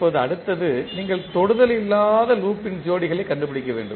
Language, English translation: Tamil, Now, next is you need to find out the pairs of non touching loop